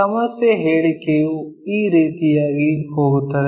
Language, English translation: Kannada, The problem statement goes in this way